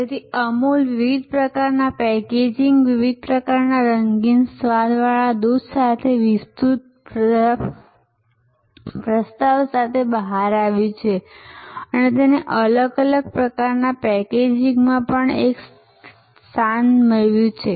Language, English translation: Gujarati, So, Amul have come out with a therefore an expanded proposition with different kind of packaging, different kind of coloured, flavoured milk and positioning it as a, even in different kind of packaging